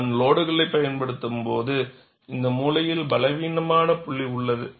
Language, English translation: Tamil, When I apply the load, this corner is the weakest point